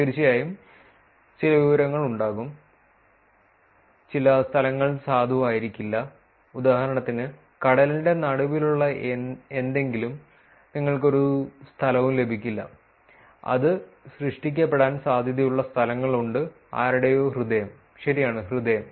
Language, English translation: Malayalam, Of course, there is going to be some information, some locations which are not going to be valid right for example, something in the middle of sea, you are not going to get any location, and there are locations that may be generated which is somebody’s heart right, h e a r t